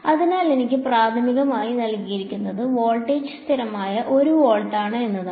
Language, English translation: Malayalam, So, what is given to me primarily is the fact that voltage is constant 1 volt